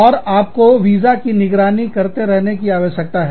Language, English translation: Hindi, And, you need to keep track of visas